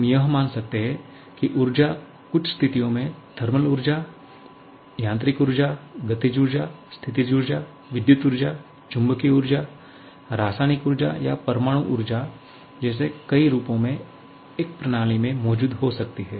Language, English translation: Hindi, We can assume that energy can exist in a system in numerous forms just like thermal energy, mechanical energy, kinetic, potential, electrical energy, magnetic energy, chemical or nuclear energy under certain situations